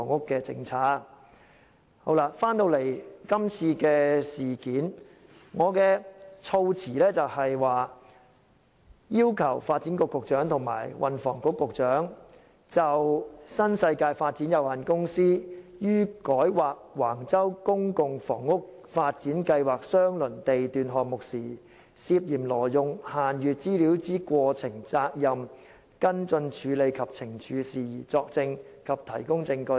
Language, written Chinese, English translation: Cantonese, 說回今次的事件，我的措辭是要求"傳召發展局局長及運輸及房屋局局長就新世界發展有限公司於改劃橫洲公共房屋發展計劃相鄰地段項目時，涉嫌挪用限閱資料之過程、責任、跟進處理及懲處事宜，作證及提供證據"。, Back to this incident the wording of my motion is summons the Secretary for Development and the Secretary for Transport and Housing to testify or give evidence in relation to the happenings culpability follow - up actions and punitive matters pertaining to the alleged illegal use of restricted information by New World Development Company Limited NWD during its application for rezoning a land lot near the site of the Public Housing Development Plan at Wang Chau